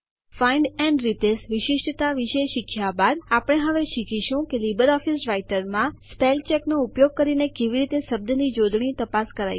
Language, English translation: Gujarati, After learning about Find and Replace feature, we will now learn about how to check spellings in LibreOffice Writer using Spellcheck